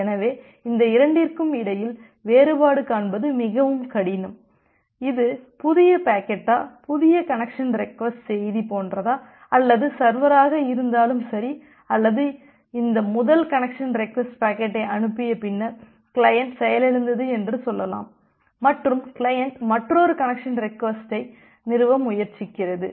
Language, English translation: Tamil, So distinguishing between these two becomes very difficult that, whether it is just like new packet, new connection request message that is being received or it has happened that well either the server or say for this example the client has crashed after sending this first connection request packet and then the client is trying to establish another connection request